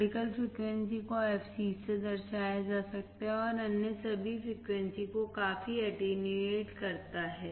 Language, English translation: Hindi, Critical frequency, can be denoted by fc and significantly attenuates all the other frequencies